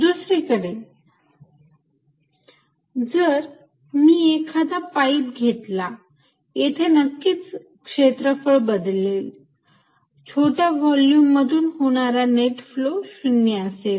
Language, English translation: Marathi, On the other hand, if you see a pipe although it is area may change, the net flow through any small volume is 0